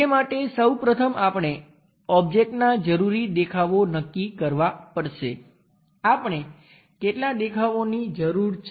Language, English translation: Gujarati, For that first of all we have to decide the necessary views of the object, how many views we might be requiring